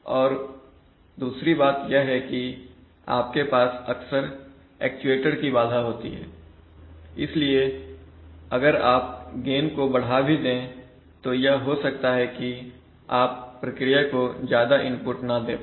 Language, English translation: Hindi, Second thing is that you often have actuator constraints, so even if you increase the gain, is, it may happen that you are not able to give more input to the process